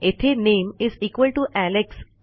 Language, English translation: Marathi, The name is still Alex